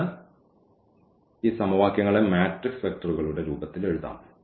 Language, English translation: Malayalam, So, we can write down this equation these equations in the form of the matrix vectors